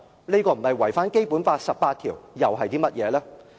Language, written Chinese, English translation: Cantonese, 這樣不是違反《基本法》第十八條，又是甚麼？, What else can we say about this apart from this is a contradiction to Article 18 of the Basic Law?